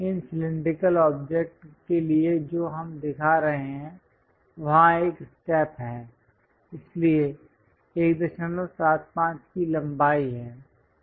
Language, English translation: Hindi, For these cylindrical objects what we are showing is there is a step, for that there is a length of 1